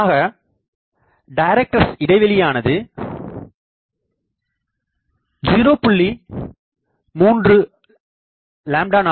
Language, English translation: Tamil, Then director spacing; that is typically 0